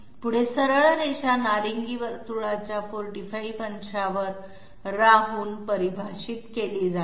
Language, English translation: Marathi, Next, this straight line is defined by being at 45 degrees to the orange circle